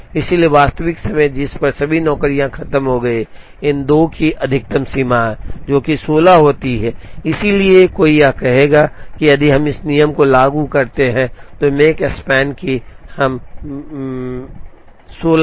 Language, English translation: Hindi, So, the actual time, at which all the jobs are over is the maximum of these 2, which happens to be 16, so one would say that, if we apply this rule then the Makespan that, we get is 16